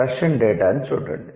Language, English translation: Telugu, Look at the Russian data